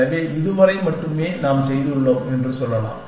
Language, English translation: Tamil, So, let say we have done only, till this much